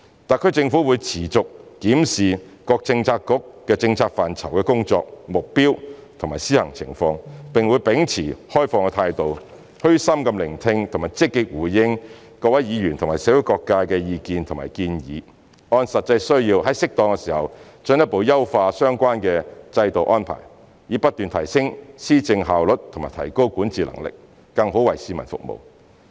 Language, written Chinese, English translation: Cantonese, 特區政府會持續檢視各政策局政策範疇的工作、目標和施行情況，並會秉持開放態度，虛心聆聽及積極回應各位議員和社會各界的意見和建議，按實際需要在適當時候進一步優化相關制度安排，以不斷提升施政效率及提高管治能力，更好為市民服務。, The SAR Government will keep in view the work goals and application of different policy portfolios listen modestly with an open mind and actively respond to views and suggestions from Members and different sectors of society . We will also improve the political appointment system further as and when necessary in the light of practical needs and keep enhancing the efficiency of policy implementation and governance capability so as to better serve the public